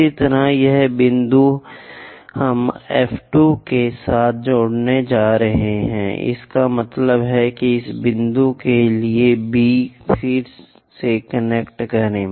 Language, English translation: Hindi, Similarly, these point we are going to connect with F 2; that means, for this point B again connect that